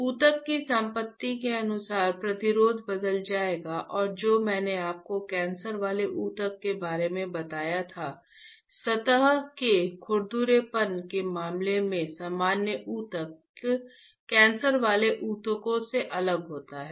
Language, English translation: Hindi, The resistance would change as per the tissue property and what I told you the cancerous tissue, normal tissues are different than the cancerous tissues in terms of the surface roughness